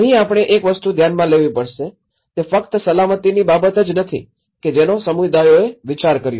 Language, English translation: Gujarati, Here, we have to notice one thing; it is not just only on the matter of safety which communities have thought